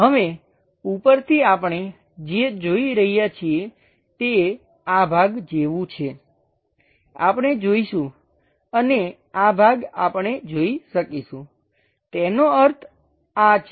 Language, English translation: Gujarati, Now, top what we are going to see is there is something like this part, we will see and this part, we will be in a position to see; that means, this one